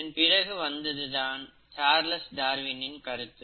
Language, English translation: Tamil, Then came the remarkable observations done by Charles Darwin